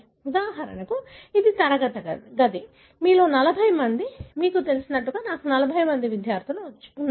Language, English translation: Telugu, For example, this is a classroom, 40 of you, like you know, I have 40 students